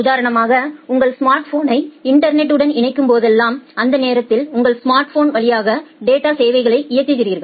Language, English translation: Tamil, Say for example, whenever you are connecting your smartphone to the internet you are enabling the data services over your smartphone during that time